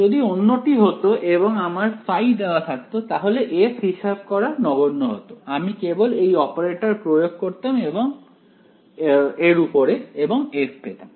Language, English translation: Bengali, If it were the other way if I were given phi then this is trivial to calculate f right I just apply the operator on it and I get f